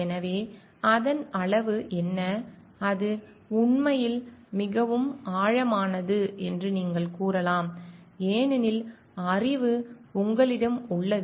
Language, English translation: Tamil, So, what is the extent of it and you may say like it is much deeper into the fact because the knowledge lies with you